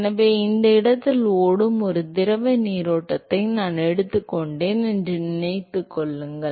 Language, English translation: Tamil, So, remember supposing I take a fluid stream which is flowing in this location ok